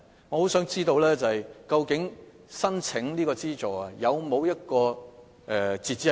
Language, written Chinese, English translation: Cantonese, 我很想知道，究竟捐款申請有沒有截止日期？, I am eager to know if there is any deadline for making donation application